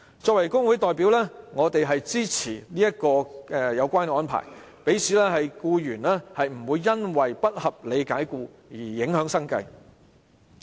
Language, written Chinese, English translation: Cantonese, 作為工會代表，我支持有關安排，讓僱員不會因不合理解僱而影響生計。, As a trade union representative I support this arrangement as the employees living should not be affected by unreasonable dismissal